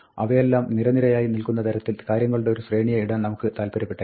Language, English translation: Malayalam, We might want to put a sequence of things, so that, they all line up, right